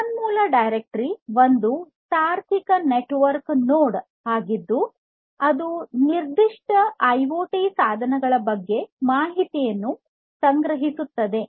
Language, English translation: Kannada, So, a resource directory is a logical network node that stores the information about a specific set of IoT devices